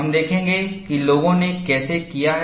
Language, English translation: Hindi, We will see how people have done it